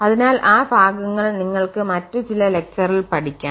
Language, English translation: Malayalam, So, those portion you will be covering in those particular lectures